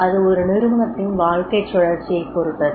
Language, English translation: Tamil, You see it also depends on the life cycle of the organization